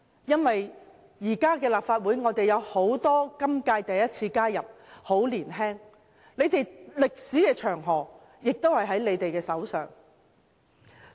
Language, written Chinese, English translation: Cantonese, 現屆立法會有很多首次加入的議員，他們都很年青，歷史長河在他們手上。, Many new Members have joined the current term of the Legislative Council for the first time . They are young and they can help shape our future history